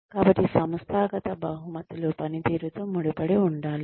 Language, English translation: Telugu, So, the organizational rewards should be tied with the performance